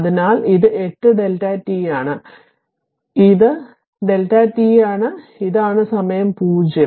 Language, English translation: Malayalam, So, this is 8 delta t, so it is delta t, so it is this is the time 0